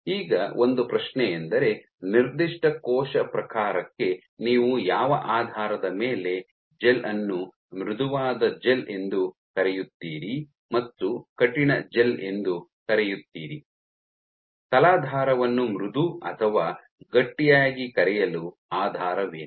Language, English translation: Kannada, Now one of the questions is for a given cell type on what basis do you call a gel a soft gel versus a stiff gel, what might be your basis is for calling us as substrate soft or stiff